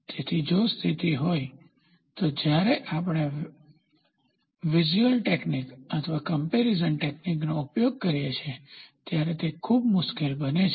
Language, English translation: Gujarati, So, if this is the case then, it becomes very difficult when we use this visual technique or comparison technique